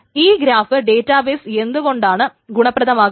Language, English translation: Malayalam, So why are graph databases useful